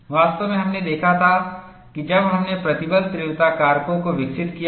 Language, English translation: Hindi, In fact, we had seen that, when we had developed stress intensity factors